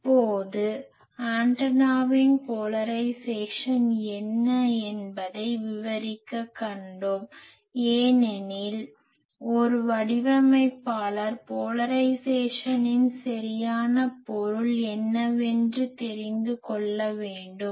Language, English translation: Tamil, Now, so we have seen in detail what is the polarisation of the antenna because a designer should be knowing what is exactly mean by polarisation